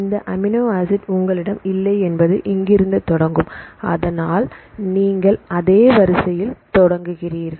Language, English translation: Tamil, So, it will start from here right you do not have this amino acid, but you start from same sequence